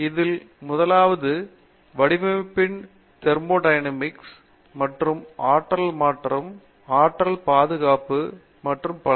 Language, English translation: Tamil, The first one deals with Thermodynamic aspects of design and things like that energy conversion, energy conservation and so on